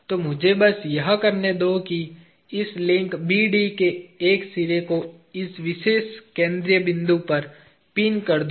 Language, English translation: Hindi, So, let me just do this; pinning one end of this link B D to this particular central point